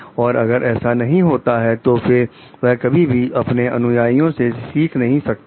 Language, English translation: Hindi, So, if that is not so, then what happened they will never be able to learn from their followers